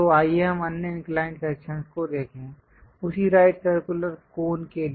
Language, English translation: Hindi, So, let us look at the other inclined section, for the same right circular cone